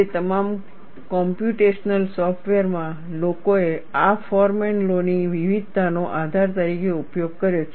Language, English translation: Gujarati, In all those computational softwares, people have used variation of this Forman law, as the basis